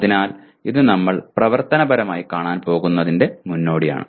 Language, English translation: Malayalam, So that is the prelude to what we are operationally going to look to at this